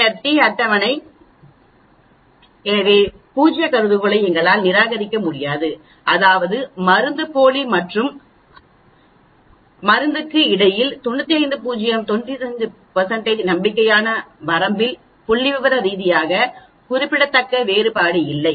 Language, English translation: Tamil, Then the t table so we cannot reject the null hypothesis, that means there is no statistically significant difference at 95 % confident limit between the placebo and the drug